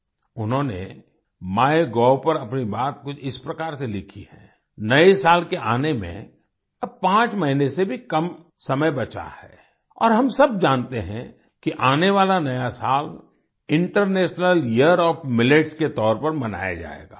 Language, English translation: Hindi, She has written something like this on MyGov There are less than 5 months left for the New Year to come, and we all know that the ensuing New Year will be celebrated as the International Year of Millets